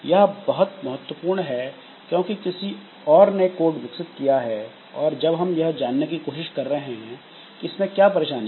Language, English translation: Hindi, So, this is very important because somebody else have developed the code and now we are trying to find the what is the difficulty with that code